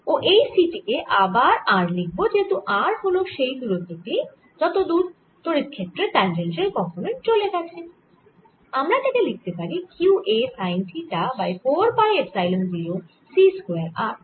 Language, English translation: Bengali, again, i'm going to cancel one of the t's and right c t has r can, because r is the distance of which this tangential component of electric field has moved, and i can write this as q a sin theta divided by four pi epsilon zero, c square, r